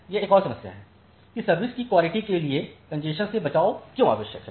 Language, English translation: Hindi, So, that is another problem that why congestion avoidance is necessary for quality of service